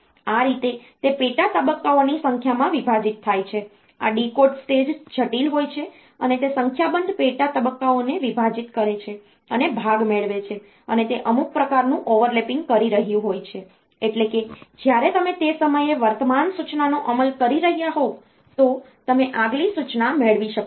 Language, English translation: Gujarati, That way it is divided into number of sub stages, this decode stage is complex it is divided a number of sub stages and fetch part it is doing some sort of overlapping, in the sense, that when you are executing the current instruction at that time, you can fetch the next instruction